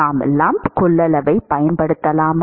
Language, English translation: Tamil, Can we use lump capacitance